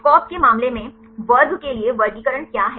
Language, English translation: Hindi, In case of SCOP right, what is the classification for the class